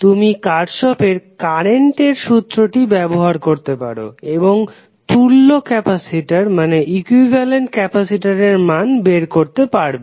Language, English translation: Bengali, You can simply apply Kirchhoff current law and you can find out the value of equivalent capacitance